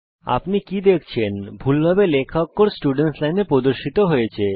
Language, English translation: Bengali, Do you see that mistyped character displayed in the students line.It is not displayed